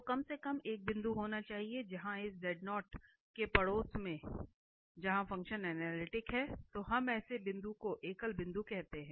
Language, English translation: Hindi, So, there should be at least one point where in the neighbourhood of this z0 where the function is analytic, then we call such a point a singular point